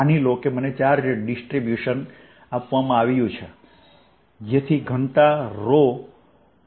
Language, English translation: Gujarati, suppose i am given a charge distribution so that the density is rho r prime